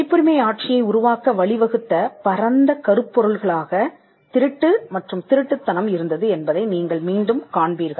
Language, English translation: Tamil, Again, you will find that piracy and plagiarism as the broad themes that led to the creation of the copyright regime